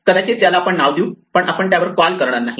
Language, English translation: Marathi, Maybe we would assign this to a name, let us not call it